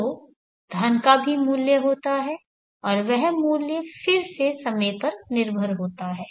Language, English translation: Hindi, So the money is also having a value and that value again is time dependent